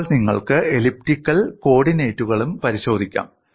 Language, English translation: Malayalam, Then you could also have a look at the elliptic coordinates